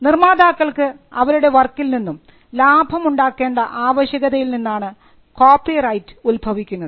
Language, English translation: Malayalam, Copyright came out of the necessity for creators to profit from their work